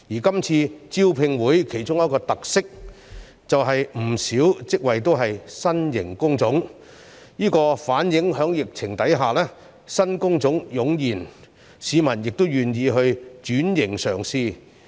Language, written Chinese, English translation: Cantonese, 今次招聘會其中一個特色，便是不少職業均為新型工種，反映在疫情下新工種湧現，市民亦願意轉型嘗試。, One of the characteristics of the job fair this time around is that many of the vacancies are new job types which have emerged in the course of the epidemic which reflects that the public are willing to try to switch occupation